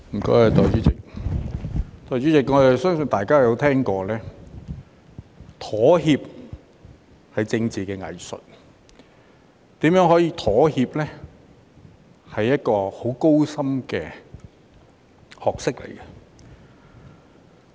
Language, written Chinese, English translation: Cantonese, 代理主席，我相信大家也聽過妥協是政治的藝術，如何妥協是很高深的學問。, Deputy President I believe Honourable Members must have heard that compromise is the art of politics and how to compromise is a very profound knowledge